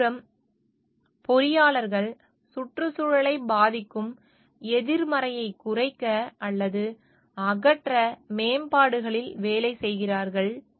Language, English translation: Tamil, On the other hand engineers work on improvements to reduce or eliminate negative that impact the environment